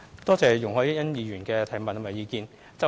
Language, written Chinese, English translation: Cantonese, 感謝容海恩議員的補充質詢及意見。, I thank Ms YUNG Hoi - yan for her supplementary question and views